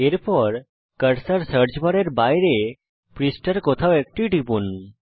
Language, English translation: Bengali, Next, click the cursor any were on the page outside the search bar